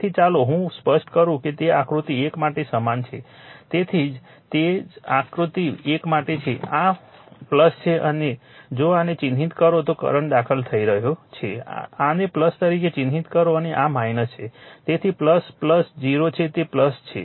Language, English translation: Gujarati, So, same is for your this figure 1; this is plus if you if you mark this one the current is entering you mark this one as plus and this is minus